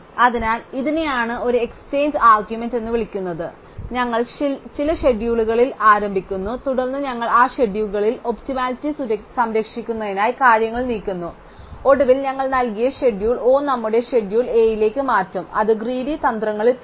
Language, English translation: Malayalam, So, this is what is called an exchange argument, we start with some schedule and then we keep moving things around in that schedule preserving optimality, until eventually we transform the given schedule O into our schedule A, which would get among greedy strategy